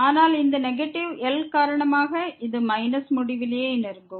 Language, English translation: Tamil, But because of this negative , this will approach to minus infinity